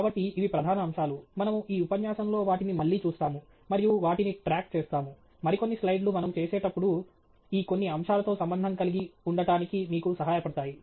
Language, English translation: Telugu, So, these are the main aspects; we will look at them again as we go along and keep track of … Some other slides will help you relate to some of these aspects as we go along